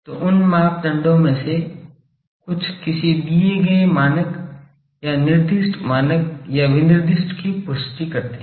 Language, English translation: Hindi, So, those some of those parameters confirms to a given standard or specified standard or specification